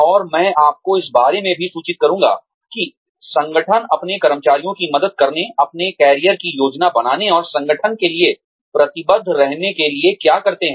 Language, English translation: Hindi, And, i will also inform you about, what organizations do, in order to, help their employees, plan their careers, and still stay committed to the organization